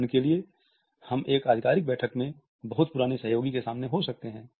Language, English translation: Hindi, For example, we may come across a very old colleague in an official meeting